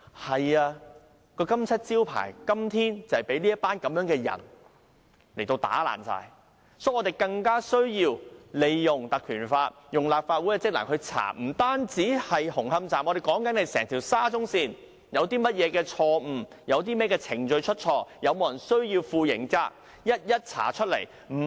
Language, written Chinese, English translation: Cantonese, 但這金漆招牌今天就被這群人打爛，所以更加需要我們引用《條例》成立專責委員會，不單紅磡站，而是整條沙中線有甚麼錯失、有甚麼程序出錯、是否有人要負上刑責，均要一一查明，不是"我告訴 OK 就 OK"。, But this untarnished reputation is tarnished by some people and that is why we have to invoke the Legislative Council Ordinance to set up a select committee not only to inquire into Hung Hom Station but the entire SCL to see what blunders have been made and what have gone wrong in the work process and whether anyone should bear criminal liability . It should not be if I tell you it is OK then it is OK